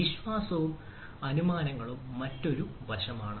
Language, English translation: Malayalam, trust and assumptions, that is another aspects